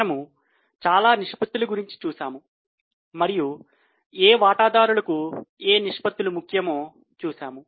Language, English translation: Telugu, We have seen variety of ratios and to which stakeholders which ratios are important